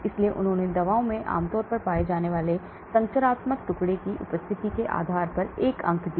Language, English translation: Hindi, So they gave a score based on the presence of a structural fragment typically found in drugs